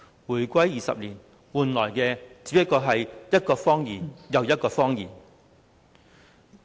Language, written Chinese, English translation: Cantonese, 回歸20年，換來的只是一個又一個謊言。, Over the 20 years since the reunification we have been told one lie after another